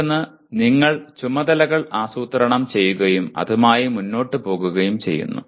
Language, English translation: Malayalam, The other one is one is you are planning the tasks and going about it